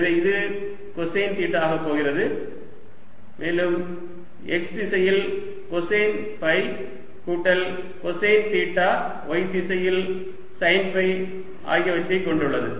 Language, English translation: Tamil, so x component is sine theta, cosine of phi in the x direction, plus y component is going to be sine theta, sine of phi in the y direction